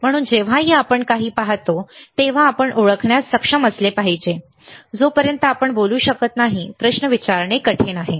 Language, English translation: Marathi, So, whenever we see anything we should be able to identify, until we cannot speak what is that very difficult to ask a question